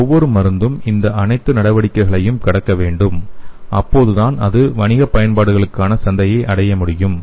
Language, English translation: Tamil, So each and every drug has to cross through all those steps okay, so then only it can reach the market for commercial application